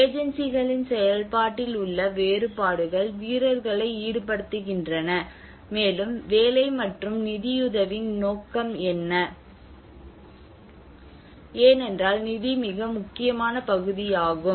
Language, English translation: Tamil, Here the differences in function of agencies plays players involved and what is the scope of work roles and funding, because at the end of the day, funding is the most important part